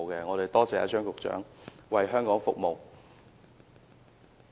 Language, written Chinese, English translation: Cantonese, 我感謝張局長為香港服務。, I thank Secretary Prof Anthony CHEUNG for his service to Hong Kong